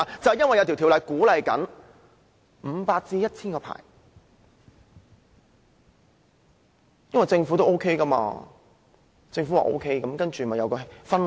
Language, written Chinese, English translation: Cantonese, 原因是有法例鼓勵發出500個至 1,000 個甲類牌照，政府的鼓勵導致了一種氛圍。, It is because of a law that encourages the issuance of 500 to 1 000 Category A licences . The Governments encouragement will give rise to an atmosphere